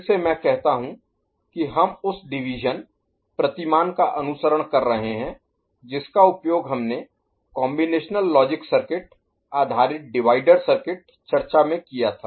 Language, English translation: Hindi, Again I say that we are following the division paradigm that we had used in the combinatorial logic circuit based divider circuit discussion